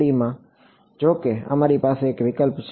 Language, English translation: Gujarati, In 2 D however, we have a choice ok